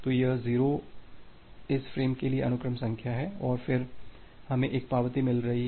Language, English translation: Hindi, So, this 0 is the sequence number for this frame and then, we are getting an acknowledgment